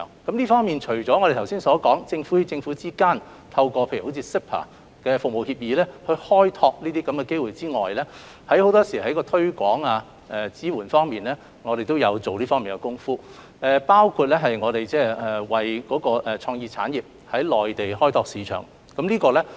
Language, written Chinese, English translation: Cantonese, 就這方面，除了我剛才所說，政府與政府之間透過如 CEPA《服務貿易協議》開拓機會外，我們在推廣及支援方面也下了不少工夫，包括為創意產業在內地開拓市場。, In this regard apart from exploring opportunities through collaboration with other governments eg . the CEPA Agreement on Trade in Services which I have just mentioned we have also made considerable promotional and support efforts which include helping the creative sectors to explore the Mainland market